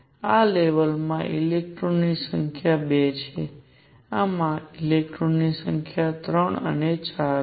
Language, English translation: Gujarati, The number of electrons in this level are 2; number of electrons in this is 3 and 4